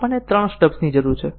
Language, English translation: Gujarati, So, we need three stubs